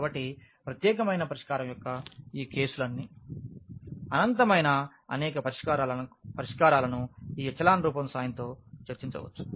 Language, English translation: Telugu, So, all these cases of unique solution, infinitely many solution can be discussed with the help of this echelon form